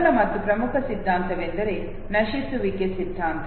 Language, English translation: Kannada, First and the most important theory is the theory of decay